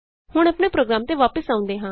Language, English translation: Punjabi, Now let us come back to our program